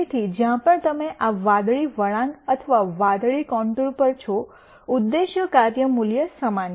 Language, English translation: Gujarati, So, wherever you are on this blue curve or the blue contour the objective function value is the same